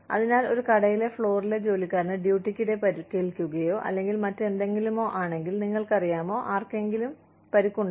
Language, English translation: Malayalam, So, if a shop floor worker gets hurt, in the line of duty, or even otherwise, you know, somebody is hurt